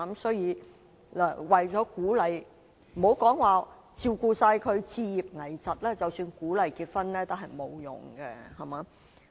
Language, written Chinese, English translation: Cantonese, 所以，為了鼓勵——不要說照顧他們置業、危疾的需要——即使鼓勵結婚，也沒有用。, Hence the fund is useless in encouraging them to get married not to mention home acquisition or meeting the needs arising from critical diseases